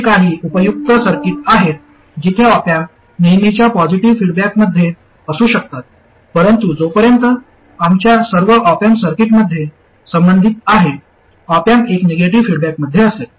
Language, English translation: Marathi, There are some useful circuits where the op am may be in positive feedback, but as far as we are concerned, in all our op am circuits the op am will be in negative feedback